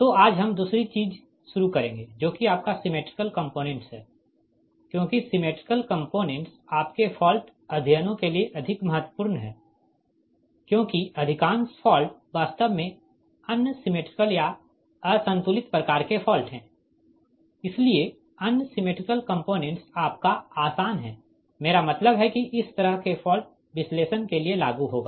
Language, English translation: Hindi, so today we will start the other thing, that is, your symmetrical component, because symmetrical component is more important for your, our fault studies, because most of the fault actually unsymmetrical or all unbalanced type of faults, right